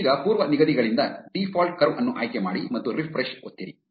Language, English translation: Kannada, Now, from the presets select default curved and press refresh